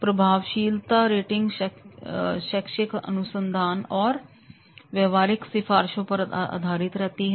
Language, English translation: Hindi, The effectiveness rating is based on both academic research and practitioner recommendations